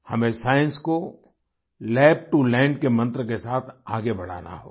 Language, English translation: Hindi, We have to move science forward with the mantra of 'Lab to Land'